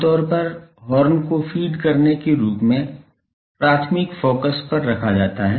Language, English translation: Hindi, Generally, the horn is placed at the primary focus as a feed